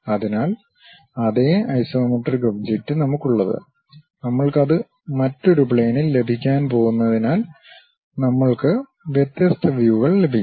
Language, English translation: Malayalam, So, the same isometric object what we have it; we are going to have it in different plane, so that we will be having different views